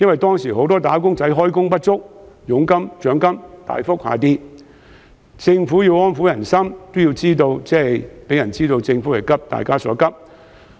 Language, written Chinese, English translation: Cantonese, 當時很多"打工仔"開工不足，佣金和獎金大跌，政府要藉"派錢"安撫人心，也要讓人知道政府急大家所急。, As many wage earners were underemployed at that time with their commissions and bonuses greatly reduced the Government intended to disburse cash to pacify the public and meet their urgent needs . Unfortunately what is bad can be worse